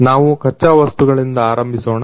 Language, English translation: Kannada, Firstly, we start with raw materials